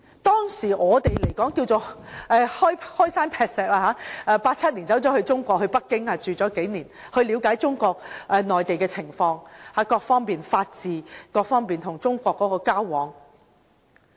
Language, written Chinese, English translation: Cantonese, 當時，我們可謂"開山劈石 "，1987 年到內地在北京居住數年，了解中國內地各方面的情況，例如法治，以及與中國交往。, At that time we could be regarded as the pioneers . We visited Beijing in 1987 and stayed there for a few years to learn about Mainland China and its various aspects such as rule of law . In effect we interacted with China